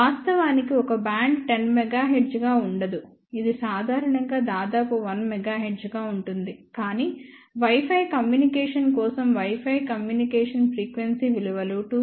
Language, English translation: Telugu, Of course, one band is not going to be 10 megahertz that is generally going to be of the order of 1 megahertz, but for let us say Wi Fi communication frequency values for Wi Fi communication is from 2